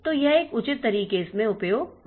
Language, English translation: Hindi, So, that gets utilized in a proper fashion